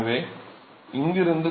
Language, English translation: Tamil, So, from here